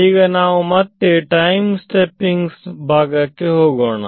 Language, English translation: Kannada, Now, we let us go back to the time stepping part right